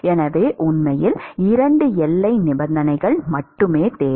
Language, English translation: Tamil, So, we really need only 2 boundary conditions